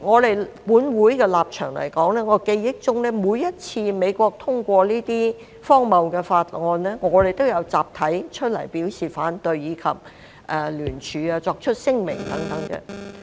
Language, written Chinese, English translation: Cantonese, 以本會的立場來說，在我記憶中，每一次美國通過這些荒謬的法案，我們都有集體出來表示反對，以及聯署、作出聲明等。, Regarding the stance of this Council as I can recall we have stepped forward together to raise objection as well as sign and issue joint statements when the United States passed each of these preposterous Acts